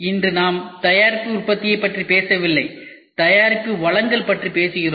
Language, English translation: Tamil, Today we are not talking about product production, we are talking about product delivery